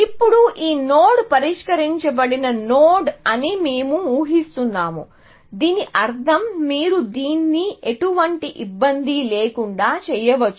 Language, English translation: Telugu, So, now, we are assuming that this node is a solved node, in the sense, that you can do this without any difficulty